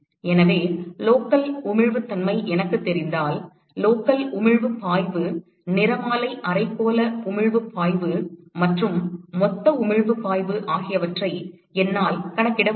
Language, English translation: Tamil, So, if I know the local emissivity, I should be able to calculate the local emissive flux, spectral hemispherical emissive flux and also the total emissive flux